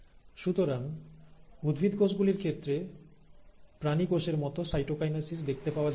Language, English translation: Bengali, So in case of plant cells, you do not see the classical cytokinesis as you see in animal cells